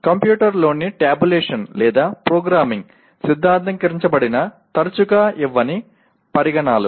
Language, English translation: Telugu, Considerations that frequently do not lend themselves to theorizing tabulation or programming into a computer